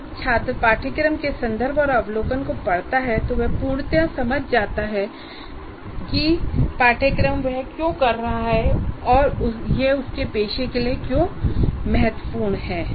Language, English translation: Hindi, So course context will overview, when the student reads this, he finalizes why is doing this course and why is it important to his profession